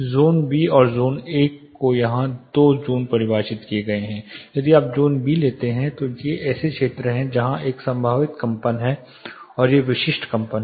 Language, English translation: Hindi, There are two zones defined here zone B and zone A, these are if you take zone B these are regions where there is a probable vibration and these are specific vibration